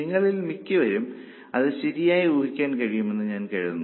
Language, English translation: Malayalam, I think most of you are able to guess it correctly